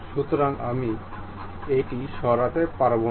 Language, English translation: Bengali, So, I cannot really move it